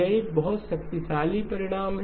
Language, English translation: Hindi, That is a very powerful result